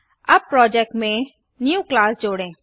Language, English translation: Hindi, Now let us add a new class to the project